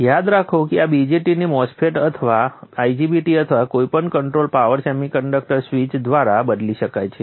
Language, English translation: Gujarati, Remember that this BJT can be replaced by a MOSFET or an IGBT 2 any controlled power semiconductor switch